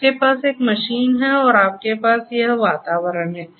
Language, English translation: Hindi, You have a machine and you have this environment